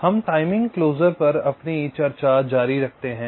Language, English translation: Hindi, so we continue with a discussion on timing closure